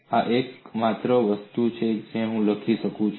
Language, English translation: Gujarati, That is only thing, which I can write